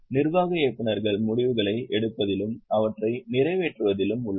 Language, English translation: Tamil, Executive directors are there in taking decisions and also executing them